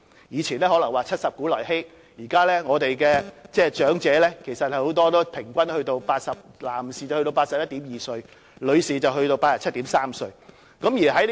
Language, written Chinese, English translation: Cantonese, 以往可能說"七十古來稀"，但現在長者的平均年齡男士達 81.2 歲，女士則達 87.3 歲。, In the past we might say People rarely live to 70 but now the average life expectancy is 81.2 for male and 87.3 for female